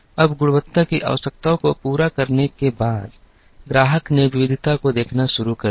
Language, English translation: Hindi, Now, after the quality requirements were met, the customer started looking at variety